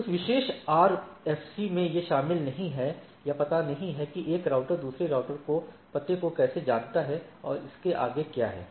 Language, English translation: Hindi, So, that that particular RFC does not include or address that how a router knows the address of another router and so and so forth